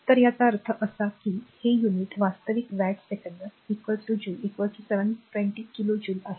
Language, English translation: Marathi, So, this much; that means, this unit actually watt second is equal to this joule is equal to 720 kilo joule